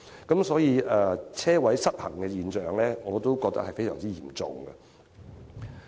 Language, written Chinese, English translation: Cantonese, 因此，我認為泊車位失衡的現象，將會非常嚴重。, Hence I think there will be a serious supply - demand imbalance in parking spaces